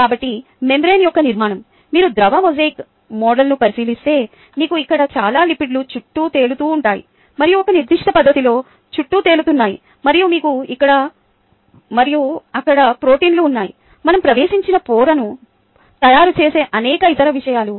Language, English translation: Telugu, right, if you look at ah, um, the fluid mosaic model, you have a lot of lipids here floating around and in in a certain fashion floating around, and you have proteins here and there are various other things that make up the membrane which will not get into